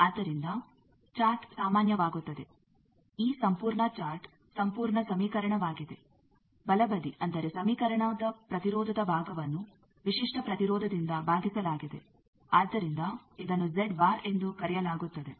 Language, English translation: Kannada, So chart becomes a general, what is done this whole chart is whole equation the right hand side that means the impedance side of the equation is divided by the characteristic impedance, so that is called Z bar